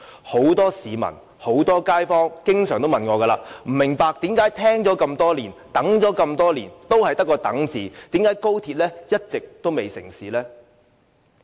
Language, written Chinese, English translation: Cantonese, 很多市民和街坊經常說，他們不明白為何聽了這麼多年，等了這麼多年，仍然在等？為何高鐵一直未能成事？, Many members of the public in the community wonder why they still have to wait after hearing about XRL for years and how come XRL is yet to be commissioned